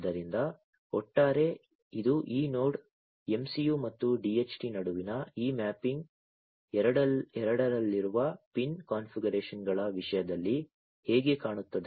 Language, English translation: Kannada, So, this is this overall this is how this mapping between this Node MCU and DHT looks like in terms of the pin configurations in both